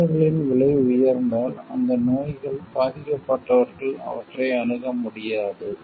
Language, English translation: Tamil, If the drugs become high priced then people suffering from those diseases may not be able to access those things